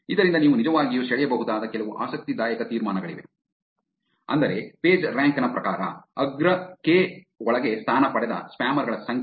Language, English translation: Kannada, There is some interesting conclusions that you can actually draw from this, which is to say that the number of spammers who rank within the top k according to the Pagerank